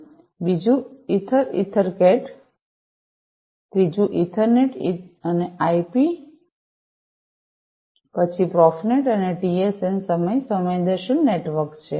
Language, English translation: Gujarati, Second one is the ether EtherCat, third is Ethernet/IP, next is Profinet, and TSN, Time Sensitive Networks